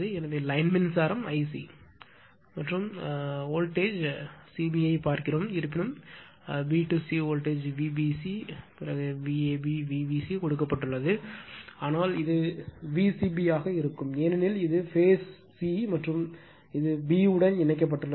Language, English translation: Tamil, So, line current is I c , yeah and your voltage it looks at the a b c , it looks at voltage c b right although b to c, V b c, V a b, V b c b c is given, but it will be V c b because this is the phase c and this is connected to b